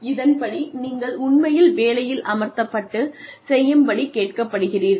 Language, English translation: Tamil, So that is one, where you are actually put on the job, and asked to perform